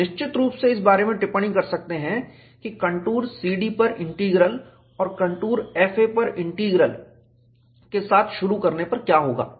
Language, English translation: Hindi, We can definitely comment about, what happens for the integral on the contour C D and integral on the contour F A, to start with